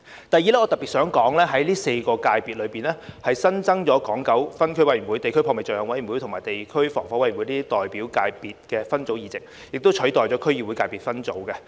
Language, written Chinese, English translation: Cantonese, 第二，我特別想說，在第四界別，新增了港九分區委員會、地區撲滅罪行委員會及地區防火委員會代表界別分組議席，以取代區議會界別分組。, Second I would like to say in particular that under the Fourth Sector seats for the subsector of representatives of members of Area Committees District Fight Crime Committees and District Fire Safety Committees of Hong Kong and Kowloon are added to replace the District Council DC subsectors